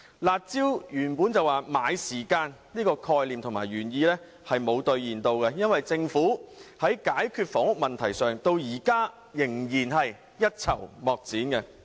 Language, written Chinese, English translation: Cantonese, "辣招"的原意是買時間，但這並沒有兌現，政府在解決房屋問題上至今仍是一籌莫展。, The original purpose of the curb measures was to buy time but it was never achieved . The Government is still at its wits end when it comes to solving the housing problem